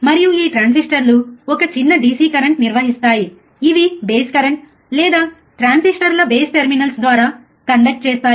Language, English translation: Telugu, And this transistors conduct, the current a small DC current which are the base currents or through the base terminals of the transistors